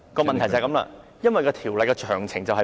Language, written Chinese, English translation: Cantonese, 問題正正就是《條例草案》詳情欠奉。, The problem with the Bill lies exactly in its lack of details